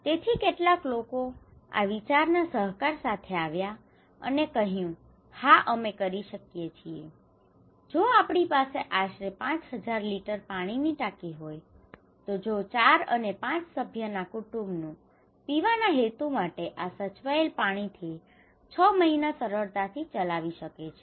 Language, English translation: Gujarati, So, some people came up with that okay, we can do it, if we have around 5000 litre water tank, then if 4 and 5 members family can easily run 6 months with this preserved water for drinking purpose, okay